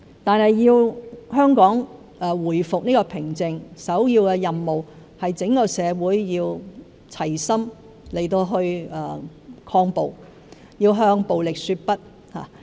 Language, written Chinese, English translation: Cantonese, 不過，香港如要回復平靜，首要任務是整個社會要齊心抗暴，要向暴力說不。, Nevertheless to restore calm in Hong Kong the first priority is that the community as a whole should work together to combat violence and say no to violence